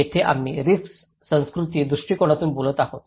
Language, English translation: Marathi, Here, we are talking from the cultural perspective of risk